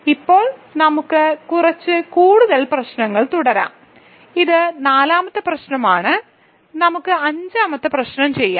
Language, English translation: Malayalam, So, now, let us continue with some more problems, so this is 4th problem, so let us do 5th problem